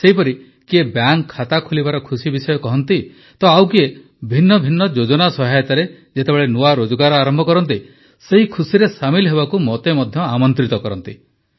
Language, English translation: Odia, Similarly, someone shares the joy of opening a bank account, someone starts a new employment with the help of different schemes, then they also invite me in sharing that happiness